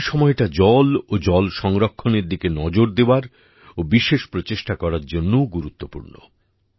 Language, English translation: Bengali, This is also the time to make special efforts in the direction of 'water' and 'water conservation'